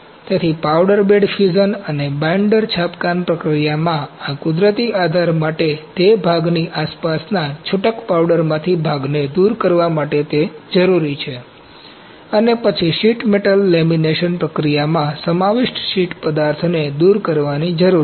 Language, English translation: Gujarati, So, this natural support in powder bed fusion and binder printing process it is required to remove the part from the loose powder surrounding the part and then form the sheet metal lamination process require removal of encapsulated sheet material